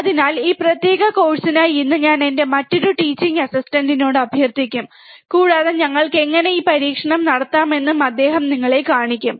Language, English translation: Malayalam, So, for today I will request my another teaching assistant for this particular course, and he will be showing you how we can perform this experiment